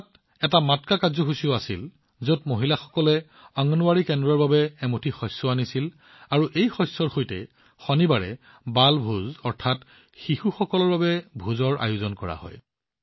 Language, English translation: Assamese, A Matka program was also held, in which women bring a handful of grains to the Anganwadi center and with this grain, a 'Balbhoj' is organized on Saturdays